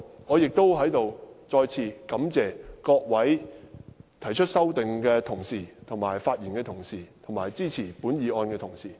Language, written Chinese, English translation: Cantonese, 我在此亦再次感謝各位提出修正案的同事、發言的同事及支持本議案的同事。, I also wish to express my gratitude here again to those Members who have moved their amendments those who have spoken and also those who support this motion